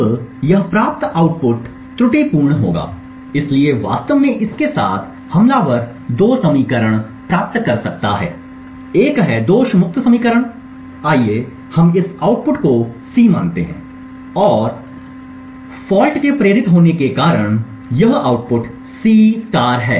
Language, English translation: Hindi, Now the output obtained would be erroneous, so in fact with this the attacker can get 2 equations one is the fault free equation, let us consider this output as C and this output due to the fault getting induced at this point to be C*